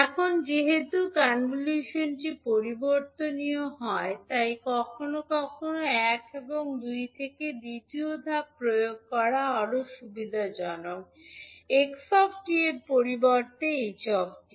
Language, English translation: Bengali, Now since the convolution is commutative it is sometimes more convenient to apply step one and two to xt instead of ht